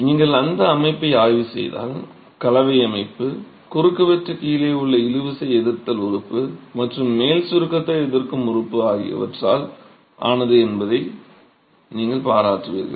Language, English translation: Tamil, If you examine the system, the composite system, you will appreciate that the cross section is made up of the tensile resisting element at the bottom and the compression resisting element at the top